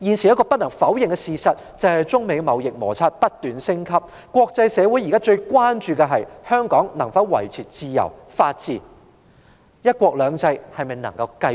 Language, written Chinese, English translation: Cantonese, 一個不能否認的事實是，中美貿易摩擦不斷升級，國際社會現時最關注的是，香港能否維持自由法治，"一國兩制"能否持續。, We cannot deny the fact that with escalating trade conflicts between China and the United States the international community is presently most concerned about whether freedom and the rule of law in Hong Kong can be maintained and whether one country two systems can still be sustained